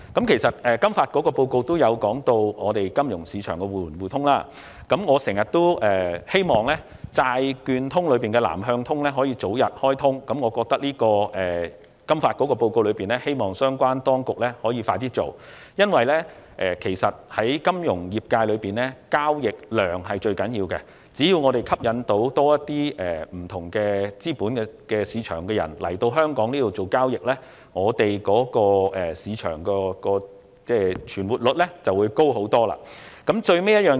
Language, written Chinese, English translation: Cantonese, 其實，金發局的報告也有提及香港金融市場的互聯互通——我一直希望"債券通"的"南向通"可以早日開通——我希望相關當局可以盡快實施金發局在報告中的建議，因為在金融業界內，交易量是最重要的，只要政府能吸引更多不同資本市場的投資者來港進行交易，香港市場的存活率便會大幅提高。, In fact FSDCs report has also touched on the topic of mutual market access between Hong Kongs financial market and those in other places―I have always hoped that Southbound Trading under Bond Connect can be launched early―I expect the relevant authorities to implement as soon as practicable FSDCs recommendations as set out in its report because the volume of transactions is of utmost importance in the financial sector . Hong Kongs financial market will have a far bigger chance of survival as long as the Government can attract more investors from different capital markets to trade in Hong Kong